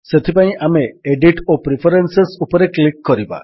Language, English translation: Odia, So we will click on Edit and Preferences